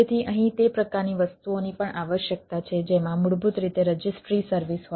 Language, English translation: Gujarati, so that type of things is here also require which basically have a registry service